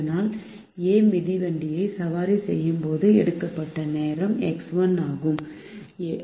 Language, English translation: Tamil, so the time taken by a when a is riding the bicycle is x one by seven